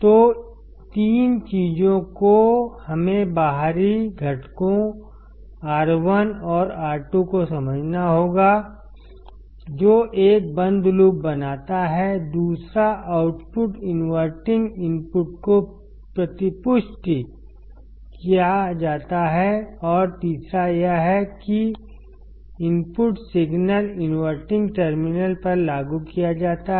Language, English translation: Hindi, So, three things we have to understand external components R 1 and R 2 that forms a closed loop, second output is fed back to the inverting input and third is that input signal is applied to the inverting terminal